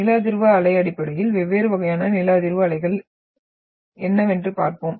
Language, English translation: Tamil, So seismic wave basically we will see what different type of seismic waves are